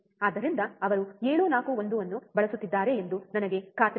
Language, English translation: Kannada, So, I am sure that he is using 741, alright